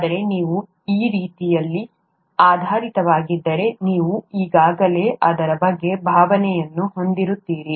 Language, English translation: Kannada, But, if you are oriented that way, you would already have a feel for it